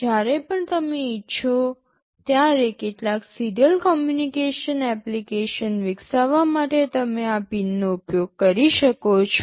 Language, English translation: Gujarati, You can use these pins to develop some serial communication application whenever you want